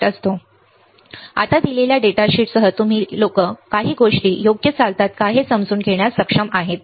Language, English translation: Marathi, Now, with for a given data sheet for a given datasheet you guys would be able to understand how the things, how the things work right